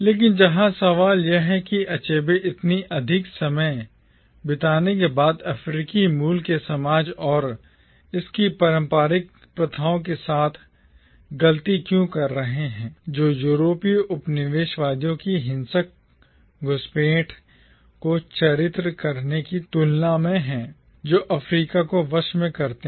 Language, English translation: Hindi, But the question here is why does Achebe spend so much more time finding fault with the precolonial African society and its traditional practices than with portraying the violent intrusions of European colonisers who subjugated Africa